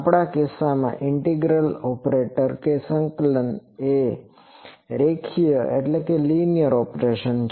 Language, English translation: Gujarati, In our case integral operator that integration is an operation that is a linear operation